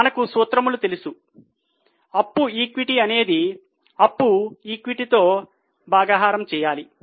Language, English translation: Telugu, So, you know the formula in debt equity it is debt upon equity